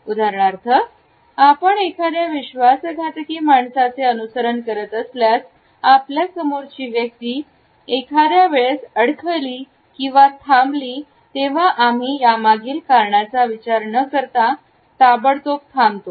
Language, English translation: Marathi, For example, if you are following a person only rather treacherous path; then if the other person who is walking in front of us stumbles or he stops we would immediately stop without consciously thinking about the reason behind it